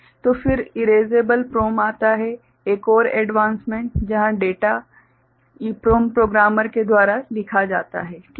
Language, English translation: Hindi, So, then comes what is called Erasable PROM, a further advancement here where the data is written of course EPROM programmer ok